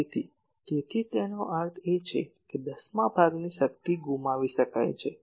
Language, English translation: Gujarati, So, that is why that means, one tenth of the power can be made to lost